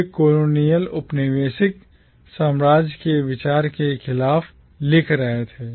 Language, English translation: Hindi, They were writing against the idea of the colonial empire